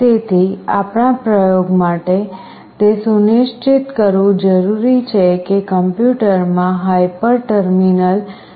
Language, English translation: Gujarati, So for our experiment, it is required to ensure that there is a hyper terminal installed in the computer